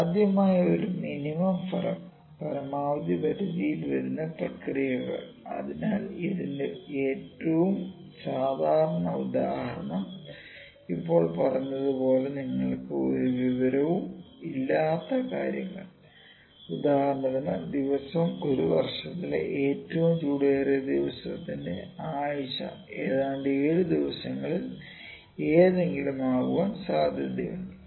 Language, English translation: Malayalam, The processes in which a likely outcome falls in the range between minimum maximum, so the most common example of this one is when you do not have any information as a just said and the day of the like if you can see, ok, day of the week of the hottest day of an year is about equally likely to be any of the 7 days